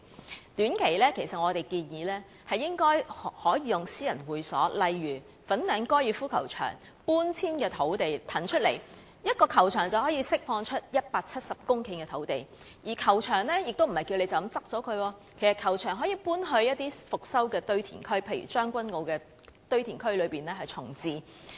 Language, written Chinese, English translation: Cantonese, 就短期而言，我們建議利用私人會所，例如搬遷粉嶺高爾夫球場以騰空土地，一個球場便可以騰空170公頃的土地，而這樣做亦不代表球場需要關閉，其實球場可以遷往復修的堆填區，例如在將軍澳堆填區重置。, In the short term we propose using private clubs such as relocating the Fanling Golf Course to vacate the land . A single golf course can vacate 170 hectares of land and such an act does not mean the golf course needs to be closed down . In fact the golf course can move to a restored landfill